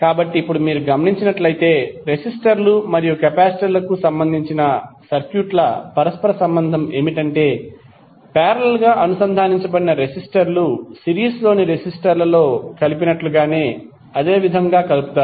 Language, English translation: Telugu, So now if you observe the, the correlation of the circuits related to resistors and the capacitors, you can say that resistors connected in parallel are combined in the same manner as the resistors in series